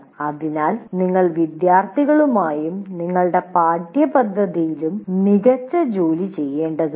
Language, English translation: Malayalam, So you have to do the best job with the students and with the curriculum that you have